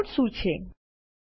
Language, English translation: Gujarati, What are Callouts